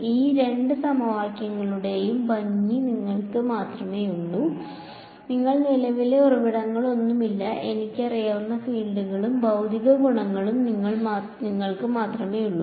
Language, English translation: Malayalam, The beauty of these two equations is that you only have, you do not have any current sources, you just have the fields and the material properties which I know